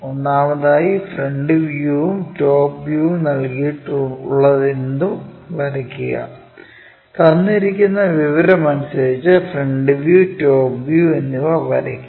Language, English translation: Malayalam, First of all, whatever the front view and top view is given draw them, draw front view and top view as per the given information